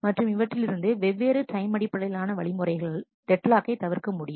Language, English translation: Tamil, And from that there are multiple time based strategies which can prevent deadlock